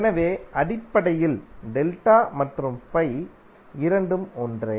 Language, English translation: Tamil, So essentially, delta and pi both are the same